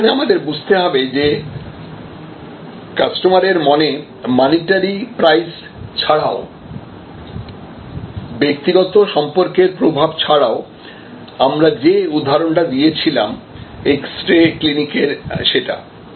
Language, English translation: Bengali, And there, we have to understand that, in customers mind besides the monitory prices, besides the influence that can be there for personnel relationships from the example, we discussed of that x ray clinic